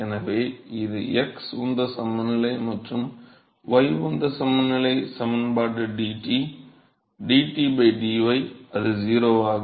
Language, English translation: Tamil, So, this is the x momentum balance and the y momentum balance is the equation dt, dt by dy that is 0